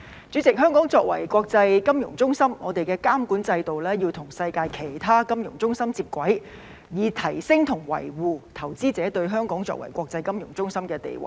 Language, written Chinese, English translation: Cantonese, 主席，香港作為國際金融中心，香港的監管制度要與世界其他金融中心接軌，以提升和維護香港在投資者眼中作為國際金融中心的地位。, President as an international financial centre Hong Kongs regulatory regime has to align with those of other financial centres in the world so as to enhance and maintain Hong Kongs status as an international financial centre in the eyes of investors